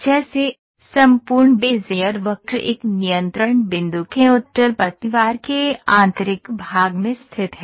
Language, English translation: Hindi, As such, the entire Bezier curve lies in the interior of a convex hull of a control point